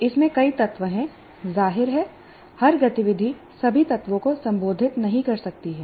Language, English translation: Hindi, Obviously every activity cannot address all the elements